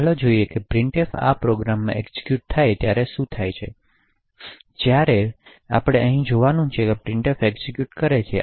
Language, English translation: Gujarati, So, let us look at what happens when printf is executing in this program, so what we need to look at over here is the stack when printf executes